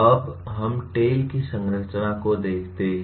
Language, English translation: Hindi, Now, let us look at the structure of the TALE